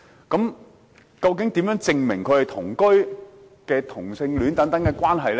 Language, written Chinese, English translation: Cantonese, 究竟如何證明同居或同性戀的關係呢？, Actually how can a cohabitation or homosexual relationship be proved?